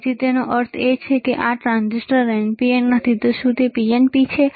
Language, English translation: Gujarati, So; that means, that this transistor is not an NPN, is it PNP